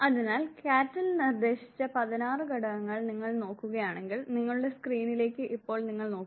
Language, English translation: Malayalam, So, if you look at those 16 factors proposed by Cattell, look at your screen right now